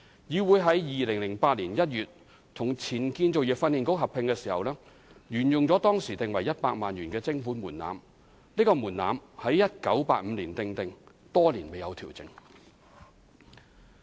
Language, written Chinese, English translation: Cantonese, 議會於2008年1月與前建造業訓練局合併時，沿用了當時定為100萬元的徵款門檻。這個門檻在1985年訂定，多年未有調整。, The prevailing levy threshold at 1 million which was adopted when CIC amalgamated with the then Construction Industry Training Authority in January 2008 has remained unchanged since stipulated in 1985